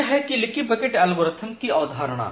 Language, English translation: Hindi, So, that is the idea of leaky bucket algorithm